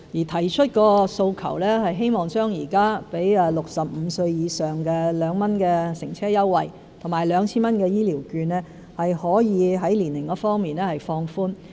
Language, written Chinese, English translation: Cantonese, 他提出的訴求是希望現時給65歲以上人士的2元乘車優惠和 2,000 元的醫療券可以在年齡方面放寬。, His demand is to lower the age threshold for the 2 concessionary transport fare and the 2,000 health care voucher currently provided to people aged 65 or above